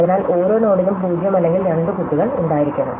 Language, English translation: Malayalam, So, the every node must either 0 or two children